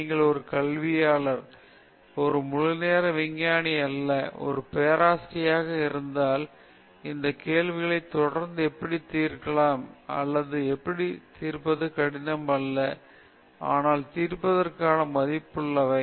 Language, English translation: Tamil, And it surprisingly… and if you are an academic, a full time scientist or a professor later on, how to constantly generate these questions which are neither easy to solve nor difficult to solve, but are worth solving